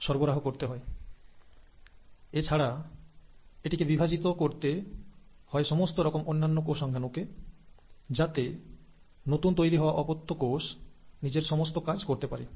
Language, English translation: Bengali, Also, it has to divide all the other cell organelles, so that the new daughter cell which is formed, can do all its functions